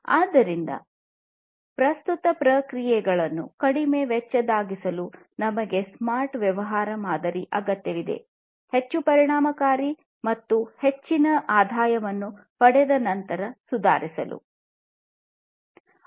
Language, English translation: Kannada, So, we need the smart business model in order to make the current processes less costly, more efficient, and to improve upon the receiving of increased revenue